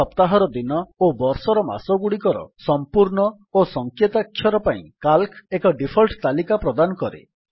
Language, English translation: Odia, Calc provides default lists for the full and abbreviated days of the week and the months of the year